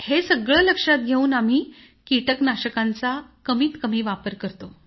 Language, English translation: Marathi, Accordingly, we have used minimum pesticides